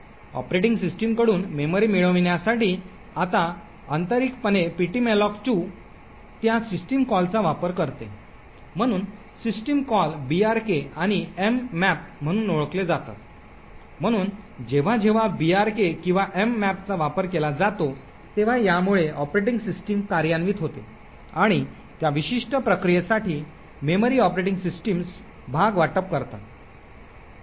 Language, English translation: Marathi, Now internally ptmalloc2 uses those systems calls to obtain memory from the operating system, so the system calls are known as brks and mmap, so whenever brk or mmap is invoked so it leads to the operating system getting executed and the operating systems would allocate a chunk of memory for that particular process